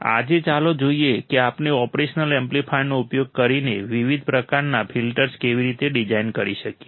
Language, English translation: Gujarati, Today, let us see how we can design different kind of filters using the operational amplifier